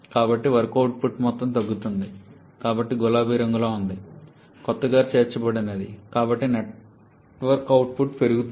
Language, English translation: Telugu, So, that amount of work output will decrease, but the one shaded in pink that is a new addition so that is an increase in the network output